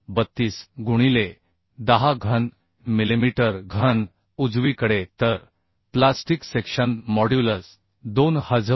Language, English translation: Marathi, 32 into 10 cube millimetre cube right So plastic section modulus required is 2960